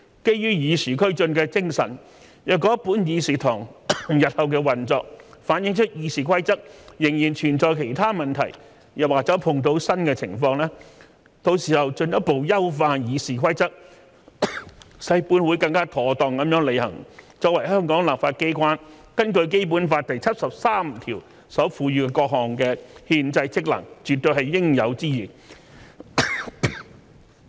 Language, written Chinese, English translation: Cantonese, 基於與時俱進的精神，若本議事堂日後的運作反映出《議事規則》仍然存在其他問題，又或者碰到新的情況，到時候進一步優化《議事規則》，使本會更妥當地履行作為香港立法機關根據《基本法》第七十三條所賦予的各項憲制職能，絕對是應有之義。, In keeping abreast of the times in the event that there are still other problems with RoP or new scenarios as reflected in the operation of this Council in future it is definitely incumbent upon us to further improve RoP so that this Council can perform its various constitutional functions under Article 73 of the Basic Law more properly as the legislature in Hong Kong